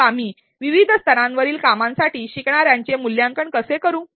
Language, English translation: Marathi, then how do we assess the learners for tasks at different levels